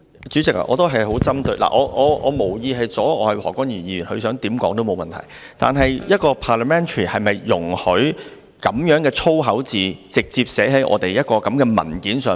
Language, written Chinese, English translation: Cantonese, 主席，我無意阻礙何君堯議員，他想怎樣說也沒有問題，但一個 parliamentary 環境是否容許這樣的粗口字眼直接寫在立法會的文件上？, President I do not mean to obstruct Dr Junius HO . It does not matter what he wants to say but is it permissible in a parliamentary setting to have such swear words written directly on Legislative Council papers?